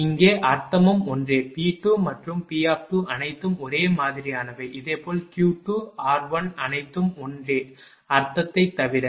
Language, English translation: Tamil, Here also meaning is same P suffix 2 and P bracket 2 all are same, similarly Q 2 r 1 except the everything meaning is same right